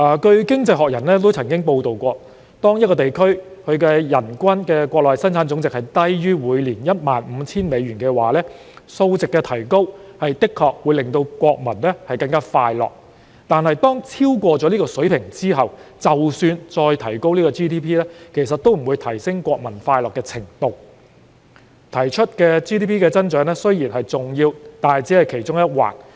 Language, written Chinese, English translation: Cantonese, 《經濟學人》曾報道，當一個地區的人均國內生產總值低於每年 15,000 美元，數值提高確實會令國民更快樂；但當數值超過這水平後，即使 GDP 再提高，其實也不會提升國民的快樂程度。GDP 增長固然重要，但只是其中一環。, As reported in The Economist for a place with an annual per capita GDP below US15,000 an increase in this figure can really raise peoples happiness but once the figure goes higher than that level any further increase in GDP can no longer lift the level of happiness among people as GDP however important is merely one of the factors bringing happiness